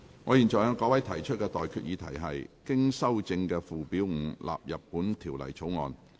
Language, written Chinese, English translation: Cantonese, 我現在向各位提出的待決議題是：經修正的附表5納入本條例草案。, I now put the question to you and that is That Schedule 5 as amended stands part of the Bill